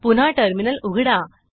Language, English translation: Marathi, Open the Terminal once again